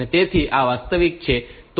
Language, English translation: Gujarati, So, this is the real